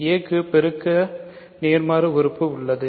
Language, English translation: Tamil, So, a has a multiplicative inverse